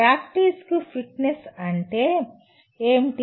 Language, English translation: Telugu, What is fitness for practice